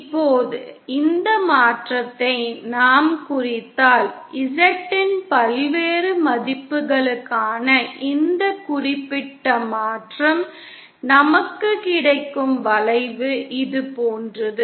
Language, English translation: Tamil, Now, if we plot this transformation, this particular transformation for various values of Z, the curve that we get is something like this